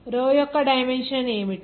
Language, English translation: Telugu, What is the dimension of row